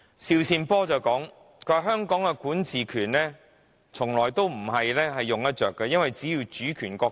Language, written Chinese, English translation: Cantonese, 邵善波說香港的管治權是中央授予的，而香港並不是主權國家。, SHIU Sin - por said that the power to administer Hong Kong is conferred by the Central Authorities and Hong Kong is not a sovereign state